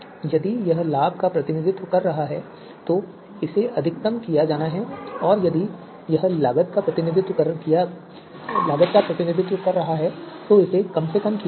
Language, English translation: Hindi, So if it is it representing you know benefit then it is to be maximized if it is representing cost then it is to be minimized